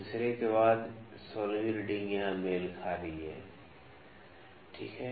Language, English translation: Hindi, So, after third 16th reading is coinciding here is coinciding here